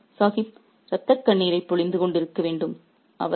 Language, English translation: Tamil, Poor Nawab Sahib must be shedding tears of blood